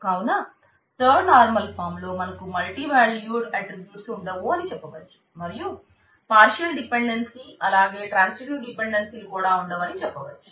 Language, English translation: Telugu, So, in third normal form you have no multivalued attribute, no partial dependency and no transitive dependency